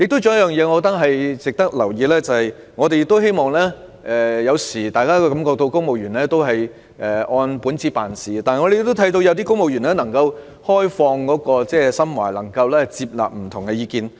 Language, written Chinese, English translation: Cantonese, 還有一點亦值得留意，便是雖然大家有時候會感到公務員只是按本子辦事，但據我們所見，有部分公務員能夠打開心扉，接納不同意見。, Another point is also worth noting . While Members sometimes may think that civil servants only go by the book our observations show that some of them can open their mind and take on board dissenting views